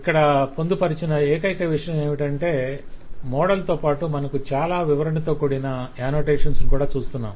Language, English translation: Telugu, The only thing that is provided here that, in addition to the actual model, you have lot of annotations given